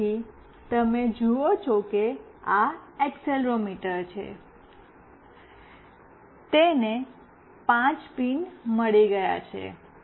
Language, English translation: Gujarati, So, you see this is the accelerometer, it has got 5 pins